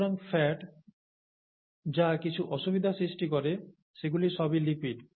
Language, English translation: Bengali, So fat causes whatever difficulties, and all that is a lipid